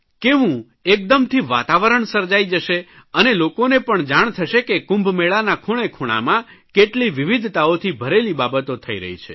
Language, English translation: Gujarati, People will also come to know of the myriad and different activities going on in every corner of the Kumbh Mela